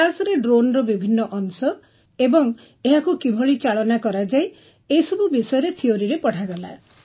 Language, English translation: Odia, In the class, what are the parts of a drone, how and what you have to do all these things were taught in theory